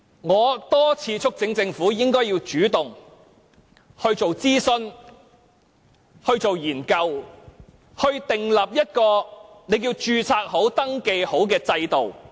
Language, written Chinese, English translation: Cantonese, 我多次促請政府主動進行諮詢和研究，從而訂立一項註冊或登記制度。, I have repeatedly urged the Government to proactively conduct consultations and studies with a view to establishing a registration system